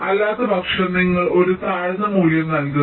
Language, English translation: Malayalam, if otherwise you assign a lower value